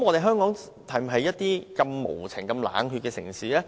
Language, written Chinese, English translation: Cantonese, 香港是否一個對動物無情冷血的城市？, Is Hong Kong such a cold - blooded city toward animals?